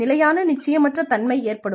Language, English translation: Tamil, There is constant uncertainty